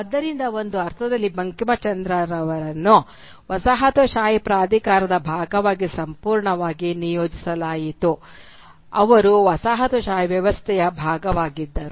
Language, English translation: Kannada, So in one sense Bankimchandra was quite thoroughly integrated as part of the colonial authority, he was part of the colonial system itself